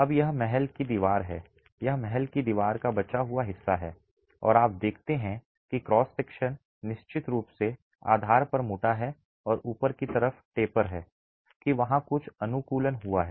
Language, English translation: Hindi, Now this is a palace wall, it is the remaining part of the palace wall and you see that the cross section is definitely thicker at the base and tapers to the top